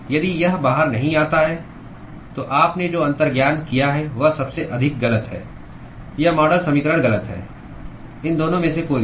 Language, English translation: Hindi, If it does not fall out, then what you intuited is most likely wrong, or the model equation is wrong: either of these two